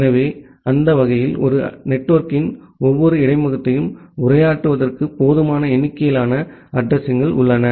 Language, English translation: Tamil, So, that way we have a sufficient number of addresses that can be utilized for addressing every interface of a network